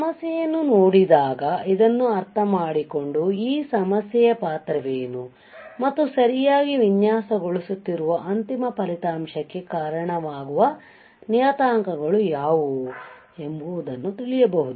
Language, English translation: Kannada, So, when you see a problem you understand that; what is the role of this problem and how you can what are the parameters that are responsible for the resulting for the final result that we are designing for right